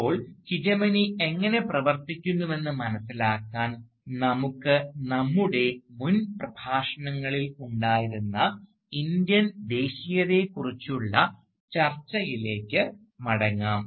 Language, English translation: Malayalam, Now, to understand, how hegemony works, let us go back to the discussion about Indian nationalism that we have had in our previous lectures